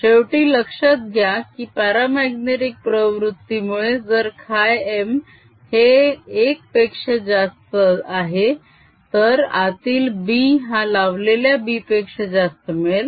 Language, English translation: Marathi, notice that, finally, because of the paramagnetic nature, if chi m is greater than one, b inside is greater than b applied